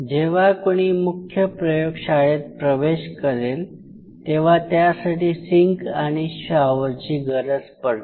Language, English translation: Marathi, Before you enter to the mainframe which is you wanted to have a sink and a shower